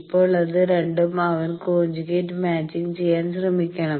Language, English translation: Malayalam, Now, these 2 he should try to conjugate match